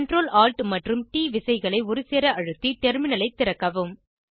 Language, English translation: Tamil, Open the terminal by pressing the Ctrl, Alt and T keys simultaneously